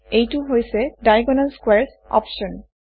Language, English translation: Assamese, This is the Diagonal Squares option